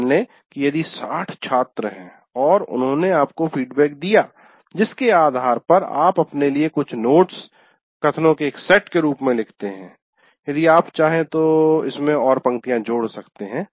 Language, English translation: Hindi, Let's say if there are 60 students and they have given your feedback, based on that, you write notes to yourself as a set of statements